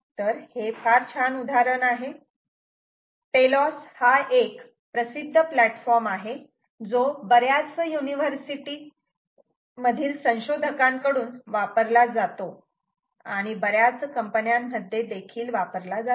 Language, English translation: Marathi, so a classic example: this telos is a very popular ah platform which is used by many researchers in many universities and also in several companies